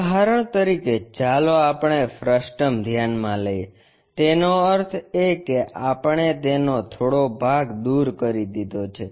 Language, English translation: Gujarati, For example, let us consider a frustum; that means, some part we have removed it